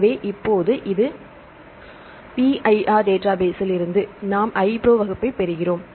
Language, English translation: Tamil, So, now this is the iPro class we can get from the PIR database